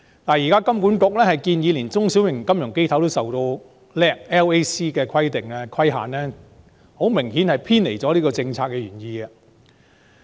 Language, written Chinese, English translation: Cantonese, 現時香港金融管理局建議連中小型金融機構也受香港處置制度下吸收虧損能力規則的規限，這明顯是偏離了政策原意。, The current proposal of the Hong Kong Monetary Authority HKMA that even small and medium financial institutions should be subject to the loss - absorbing capacity LAC requirements under the resolution regime of Hong Kong is obviously a departure from the policy intent